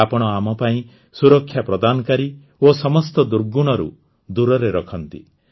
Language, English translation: Odia, You are the protector of us and keep us away from all evils